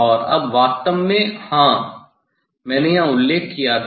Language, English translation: Hindi, And now, actually yes this I had mentioned here